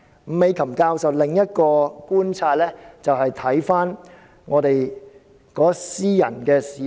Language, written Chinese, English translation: Cantonese, 伍美琴教授的另一個觀察，還是要看香港的私人市場。, Another observation from Prof NG Mee - kam is that we should examine the situation in the private market of Hong Kong